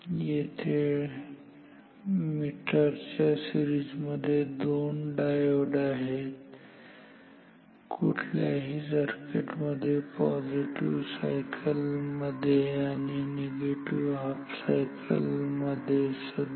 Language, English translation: Marathi, So, because there are two diodes in series with the meter in any circuit even in the positive and even in the negative half of the cycle